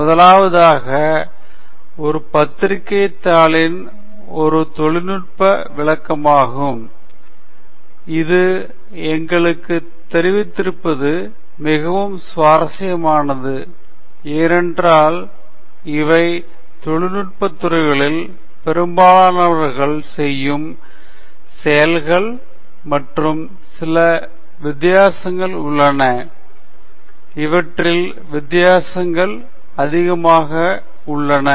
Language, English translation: Tamil, The first is a technical presentation versus a journal paper; this is interesting for us to know, because these are activities that most people in the technical field do, and there are some variations and differences between them, and so that’s something we will look at